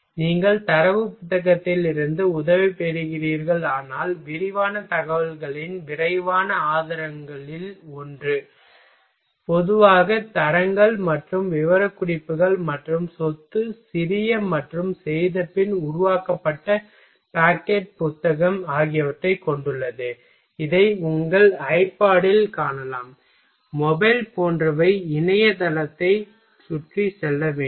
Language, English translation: Tamil, And if you are taking help from data book, then one of the quickest source of detailed information usually contained grades and specification as well as property small and perfectly formed pocketbook like that, you can store it in a you can see this are in your iPad mobile etcetera is it to navigate around internet site